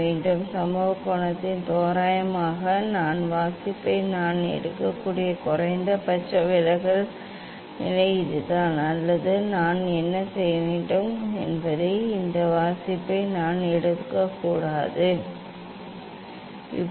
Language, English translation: Tamil, For this incident angle approximately, this is the minimum deviation position I can take this reading, or I may not take this reading what I will do; I will increase